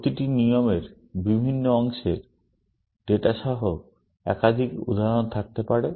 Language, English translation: Bengali, Each rule may have more than one instance with different pieces of data